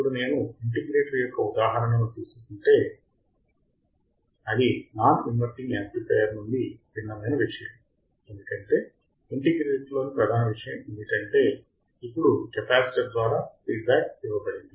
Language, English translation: Telugu, Now, if I take an example of the integrator the thing that is different from a non inverting amplifier is that the main thing in the integrator was that now the feedback is given through the capacitor, so that becomes our integrator